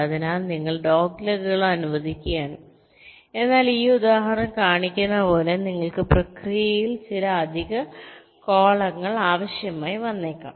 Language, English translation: Malayalam, so you are allowing doglegs but you may required some additional columns in the process, as this example shows right